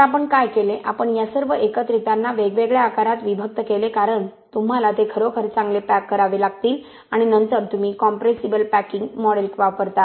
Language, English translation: Marathi, So what we did is we separated all these aggregates to different sizes because you really have to pack them well, you separate them into different sizes and then you use what is called the compressible packing model